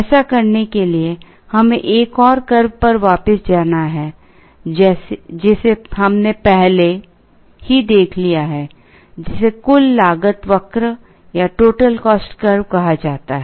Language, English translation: Hindi, In order to do that, let us go back to another curve that we have already seen, which is called the total cost curve